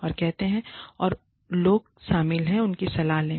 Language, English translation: Hindi, And say, and counsel the people, who are involved